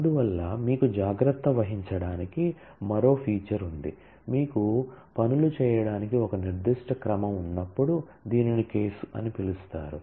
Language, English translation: Telugu, And therefore, you have yet anotherfeature to take care of this when you have a specific order to do things it is called the case